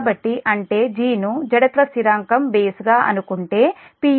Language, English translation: Telugu, so that means assuming g as a base, the inertia constant in per unit is m p